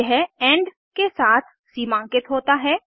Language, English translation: Hindi, It is delimited with an end